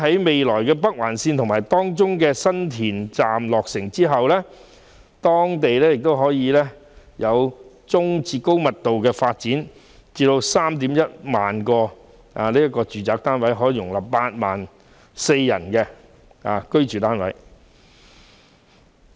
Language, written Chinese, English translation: Cantonese, 未來北環綫方面，政府預計在新田站落成後，該區可作中、高密度的發展，而 31,000 個住宅單位，可供 84,000 人居住。, As regards the future Northern Link the Government expects that upon the completion of the San Tin Station the area can be used for medium and high density developments . There will be 31 000 residential units available for accommodating 84 000 people